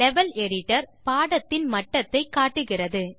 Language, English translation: Tamil, The Level Editor displays the Lecture Level